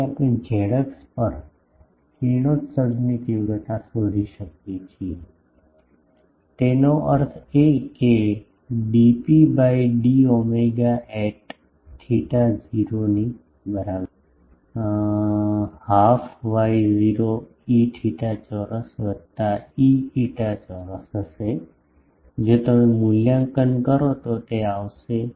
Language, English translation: Gujarati, So, we can find the radiation intensity at z axis; that means, dP by d omega at theta is equal to 0 that will r square half y not E theta square plus E phi square this, if you evaluate will come to be